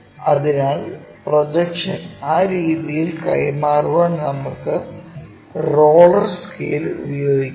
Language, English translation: Malayalam, So, use our roller scale to transfer projection in that way